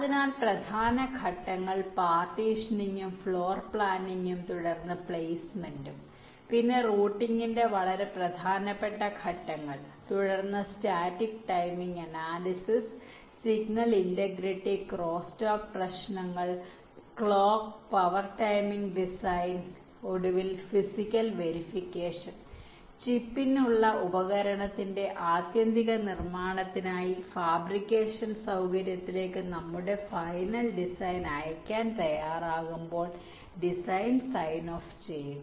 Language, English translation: Malayalam, so the main steps are partitioning and floor planning, followed by placement, then the very important steps of routing, then static timing analysis, signal integrity, crosstalk issues, clock and power timing design and finally physical verification and design sign off when we are ready to send our final design to the fabrication facility for the, for the ultimate manufacturing of the device, for the chip